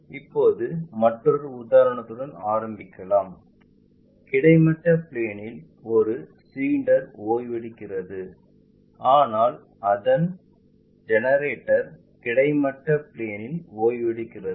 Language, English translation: Tamil, Now, let us begin with one more example a cylinder resting on horizontal plane, but maybe its generator is resting on horizontal plane